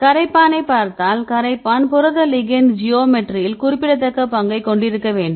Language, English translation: Tamil, Then if you look in to the solvent, the solvent also may play a significant role in the protein ligand geometry